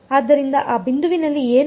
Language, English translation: Kannada, So, at those points what will happen